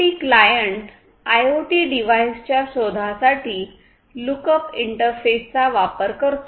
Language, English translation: Marathi, So, IoT client uses the lookup interface for discovery of IoT devices